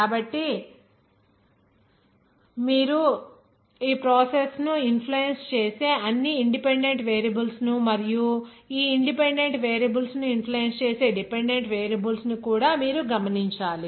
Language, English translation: Telugu, So you have to note all the independent variables that are likely to influence the process and also independent variables on which these independent variables are affected